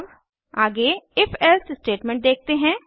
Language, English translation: Hindi, Lets look at the if elsif statement next